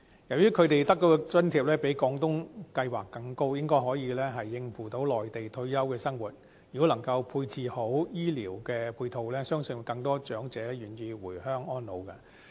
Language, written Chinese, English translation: Cantonese, 由於他們得到的津貼較廣東計劃更高，應該可以應付內地退休的生活，如果能夠配置好醫療的配套，相信更多長者願意回鄉安老。, As the amounts of allowance under OALA are higher than those under the Guangdong Scheme OALA recipients should be able to cope with their retirement life on the Mainland . With the provision of proper medical support I believe more elderly persons are willing to retire on the Mainland